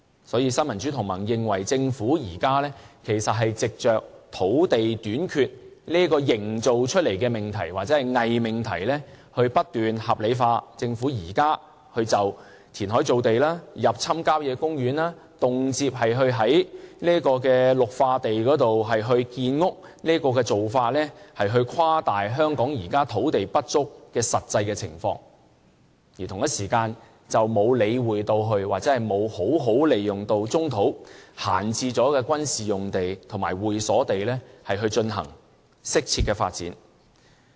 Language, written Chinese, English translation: Cantonese, 所以，新民主同盟認為，政府現時是藉着土地短缺營造出來的命題或偽命題來不斷將政府現時填海造地、入侵郊野公園、動輒在綠化地建屋的做法合理化，誇大香港現時土地不足的實際情況，而同一時間，卻沒有理會或好好地利用棕土、閒置的軍事用地和會所地，進行適切的發展。, Therefore in the view of the Neo Democrats the Government is by means of the proposition or false proposition of land shortage rationalizing its existing moves to create land through reclamation invade country parks and construct buildings on green belts . While it is trying to exaggerate the land shortage in Hong Kong it ignores or does not make good use of the brownfield sites vacated military sites and club sites for proper development